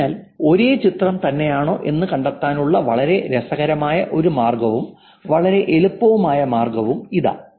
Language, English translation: Malayalam, So, here is one very, very interesting way and very easy way actually to find out whether it is the same way